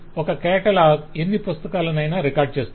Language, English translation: Telugu, one catalog records any number of books